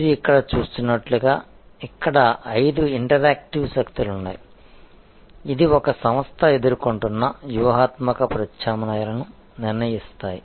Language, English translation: Telugu, So, as you see here there are five interactive forces which are named here, which determine the strategic alternatives facing an organization